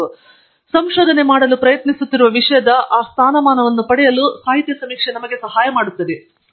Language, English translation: Kannada, And, literature survey should help us in getting that status quo of the subject we are a trying to do research on